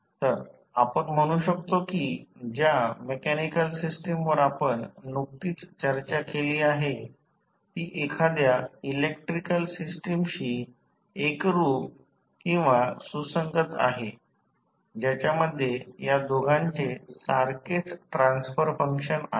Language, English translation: Marathi, So, you can say that mechanical system which we just discussed is analogous to some electrical system which have the same transfer function as we saw in case of this mechanical system